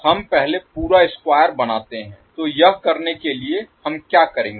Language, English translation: Hindi, We first create the complete square, so to do that what we will do